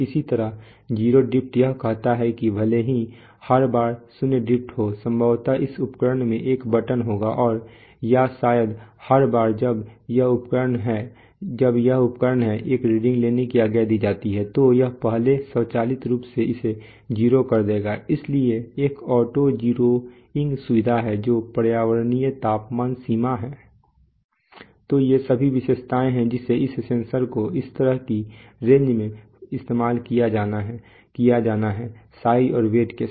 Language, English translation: Hindi, Similarly 0 drift it says that even if the zero drifts every time possibly this instrument will have a button and or maybe every time this instrument is, you know, commanded to take a reading it will first automatically make it 0, so it will, so there is an auto zeroing facility the environmental temperature range is, So there are all these specifications are to be this sensor is to be used in such a range and the size and weights okay